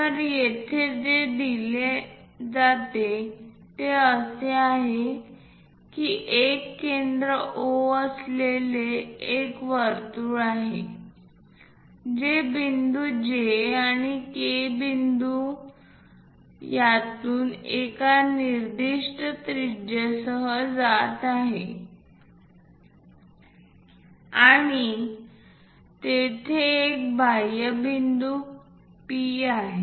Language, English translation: Marathi, So, here what is given is there is a circle having a centre O, passing through points J and K with specified radius and there is an external point P